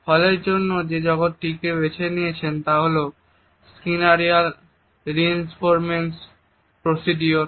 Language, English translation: Bengali, The world which Hall has used for it is the Skinnerian reinforcement procedure